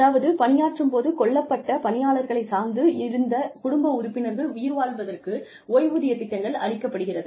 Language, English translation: Tamil, Is a pension schemes, for surviving dependent family members of the personnel, killed in the line of duty